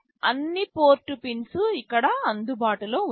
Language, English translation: Telugu, All the port pins are available here